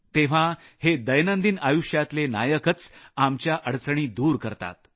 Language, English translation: Marathi, At that time, it is these daily life heroes who banish our troubles